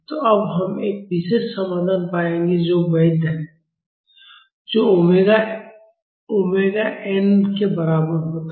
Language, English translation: Hindi, So, now, we will find a particular solution which is valid, when omega is equal to omega n